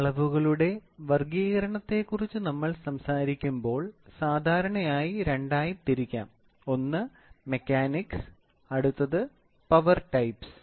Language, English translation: Malayalam, When we talk about classification of measurements, measurements generally can be classified into mechanisms and the next one is by power types